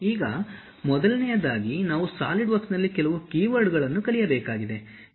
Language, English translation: Kannada, Now, first of all we have to learn few key words in solidworks